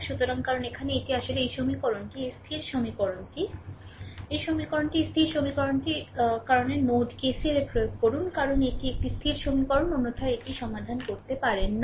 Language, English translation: Bengali, So, here because this is actually this equation actually your constant equation this equation the, this equation is your constant equation this equation because we apply KCL at node o because that is why it is a constant equation otherwise you cannot solve it right